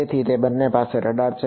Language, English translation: Gujarati, So, both of them have radars